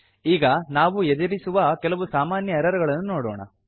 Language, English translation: Kannada, Now let us move on to some common errors which we can come across